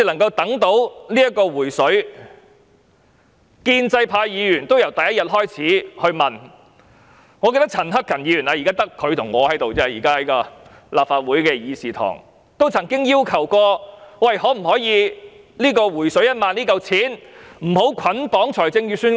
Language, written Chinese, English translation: Cantonese, 建制派議員由第一天開始便問，我記得陳克勤議員——現在只有他和我在立法會議事堂內——曾經要求政府可否不把"回水 "1 萬元這筆款項捆綁在預算案內。, Starting from day one pro - establishment Members I remember that Mr CHAN Hak - kan―only he and I are staying in this Chamber―once asked the Government not to bundle the proposed funding for the 10,000 rebate with the Budget